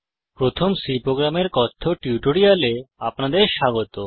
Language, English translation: Bengali, Welcome to the spoken tutorial on First C program